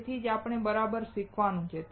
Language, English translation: Gujarati, That is what we have to learn right